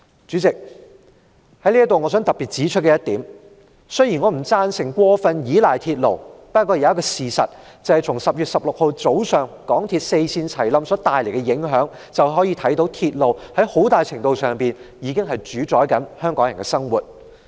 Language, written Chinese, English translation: Cantonese, 主席，我想特別指出，雖然我不贊成過分依賴鐵路，但從10月16日早上港鐵公司四線同時發生故障所帶來的影響可看到，鐵路很大程度上主宰着香港人的生活。, President I would like to point out in particular that although I do not agree with excessive reliance on the railway the impact of the simultaneous breakdown of four MTR lines in the morning on 16 October shows that the railway does dominate the lives of Hong Kong people to a very large extent